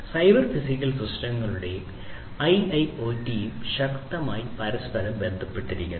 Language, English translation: Malayalam, So, cyber physical systems and IIoT are strongly interlinked